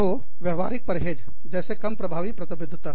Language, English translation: Hindi, So, behavioral avoidance, such as reduced, effective commitment